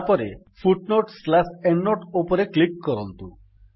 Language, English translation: Odia, Then click on the Footnote/Endnote option